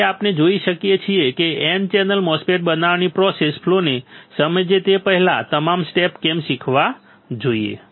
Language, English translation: Gujarati, Now we can see why to learn all the steps before we can understand the process flow for fabricating N channel MOSFET